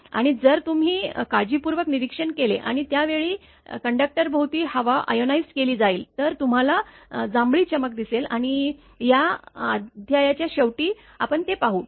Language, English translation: Marathi, And if you observe carefully if moisture is more and the airs will be ionized around the conductor at that time you will see the violet glow will be coming and along the conductor area that we will see after end of this chapter right